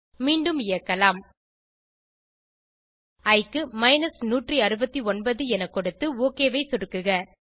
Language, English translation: Tamil, Lets run again, lets enter 169 for i and click OK